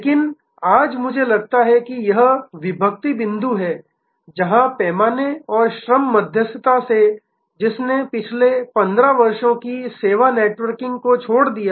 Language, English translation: Hindi, But, today I think this is the inflection point, where from scale and labor arbitrage, which drove the previous 15 years of service networking